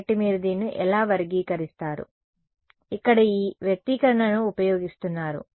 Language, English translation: Telugu, So, how do you characterize this is using this expression over here